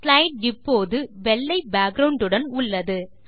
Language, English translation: Tamil, The slide now has a white background